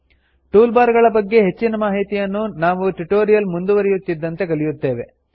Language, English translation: Kannada, We will learn more about the toolbars as the tutorials progress